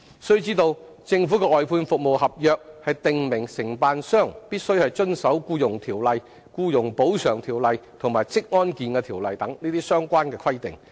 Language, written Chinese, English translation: Cantonese, 須知道，政府的外判服務合約訂明承辦商必須遵守《僱傭條例》、《僱員補償條例》和《職業安全及健康條例》等相關規定。, We must know that as stipulated by the Governments outsourced service contracts contractors shall observe the relevant requirements under the Employment Ordinance the Employees Compensation Ordinance and the Occupational Safety and Health Ordinance